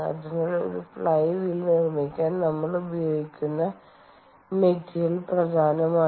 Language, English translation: Malayalam, ok, so that is why the material that we used to construct a flywheel is important, ok